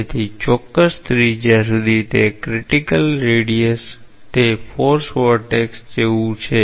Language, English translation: Gujarati, So, up to a particular radius say critical radius, it is like a forced vortex